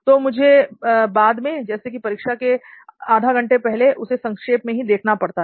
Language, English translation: Hindi, So I just need a recap later on like maybe just before the exam half an hour